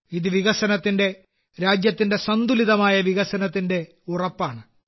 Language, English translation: Malayalam, This is a guarantee of development; this is the guarantee of balanced development of the country